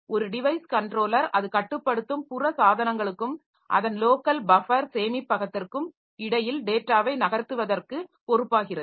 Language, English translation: Tamil, A device controller is responsible for moving the data between the peripheral devices that it controls and its local buffer storage